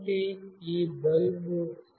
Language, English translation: Telugu, So, this is the bulb